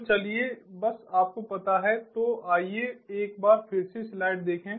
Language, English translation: Hindi, so let me just ah, you know, let us look at the slide once again